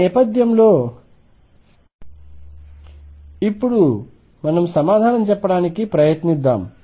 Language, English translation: Telugu, With this background let us now try to answer